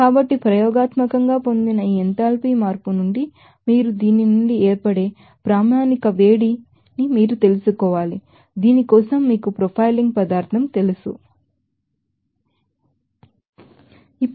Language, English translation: Telugu, See, so, from this enthalpy change that is experimentally obtained you have to find out that what should be you know standard heat of formation from this for this you know profiling substance